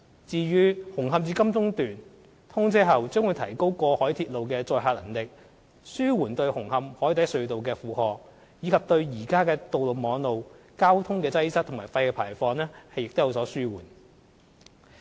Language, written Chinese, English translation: Cantonese, 至於"紅磡至金鐘段"，通車後將會提高過海鐵路的載客能力，紓緩對紅磡海底隧道的負荷，以及對現有道路網絡的交通擠塞和廢氣排放有所紓緩。, After the commissioning of the Hung Hom to Admiralty Section the capacity of the cross - harbour railway will be increased with a view to alleviating the burden of the Cross Harbour Tunnel in Hung Hom and relieving the traffic congestion problem and reducing the vehicle emission problem in the existing road networks